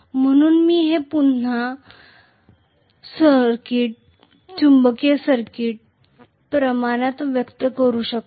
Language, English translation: Marathi, So this I can again express it in the terms of magnetic circuits, magnetic circuit quantity